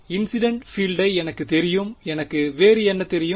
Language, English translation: Tamil, I know the incident field what else do I know